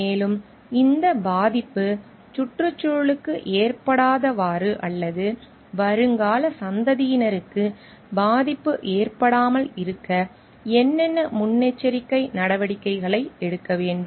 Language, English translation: Tamil, And, what are the necessary actions precautions need to be taken, so that this harm is not like done to the environment or damage is not caused to the future generations to come